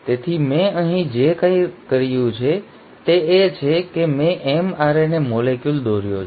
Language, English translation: Gujarati, So what I have done here is I have drawn a mRNA molecule